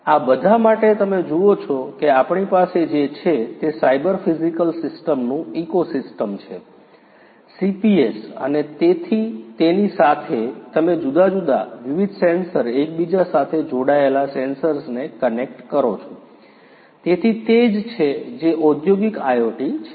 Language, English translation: Gujarati, For all of these you see what we have is an ecosystem of cyber physical systems CPS and with that you connect different, different sensors interconnected sensors, so that is what the industrial IoT is all about